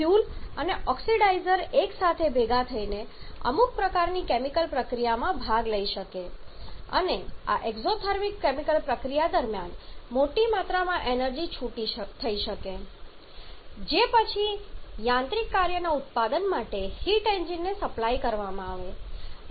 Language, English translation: Gujarati, So that the fuel and oxidizer can combine together participate in some kind of chemical reaction and during this exothermic chemical reactions huge amount of energy can get released which will be supplied to the heat engine for production of subsequent mechanical work